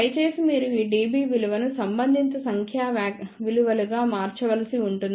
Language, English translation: Telugu, Please do not do that you have to convert these dB values into corresponding numeric values